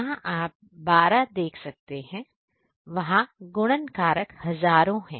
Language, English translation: Hindi, In first one we can see 12 where the multiplication factors is thousands